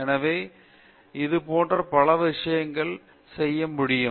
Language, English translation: Tamil, So, like this many things can be done